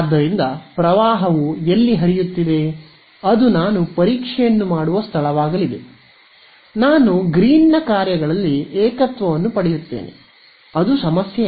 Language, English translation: Kannada, So, I will where the current is flowing that is going to be the place where I will do testing, I will get the singularity in Green's functions I will deal with it not a problem